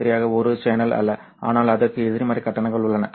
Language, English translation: Tamil, It's not exactly a channel but it has negative charges